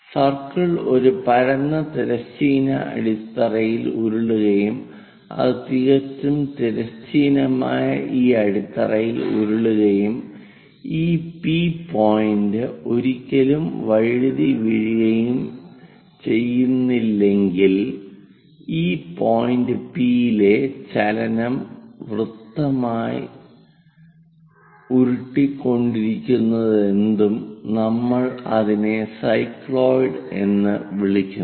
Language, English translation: Malayalam, And if the circle is rolling on a flat horizontal base, if it is rolling on these perfectly horizontal base and this P point never slips, then the motion of this P point as circle rolls whatever the curve tracked by that we call it as cycloid